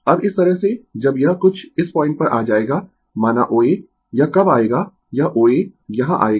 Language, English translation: Hindi, Now this way when it will come to some this point say this O A when it will come this O A will come here